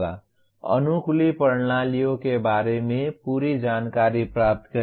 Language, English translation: Hindi, Get complete knowledge regarding adaptive systems